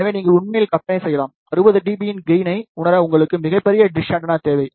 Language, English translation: Tamil, So, you can actually imagine, you need a very large dish antenna to realize gain of 60 dB